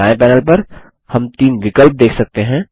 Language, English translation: Hindi, On the right panel, we see three options